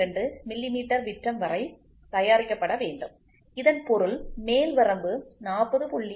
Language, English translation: Tamil, 02 millimeter, this means that the shaft will be accepted if the diameter between the upper limit of 40